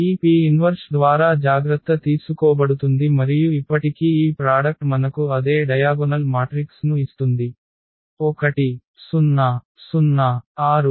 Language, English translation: Telugu, So, does not matter that will be taken care by this P inverse and still this product will give us the same diagonal matrix 1 0 0 6